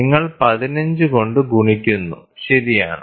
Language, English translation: Malayalam, So, you are multiplying with 15, right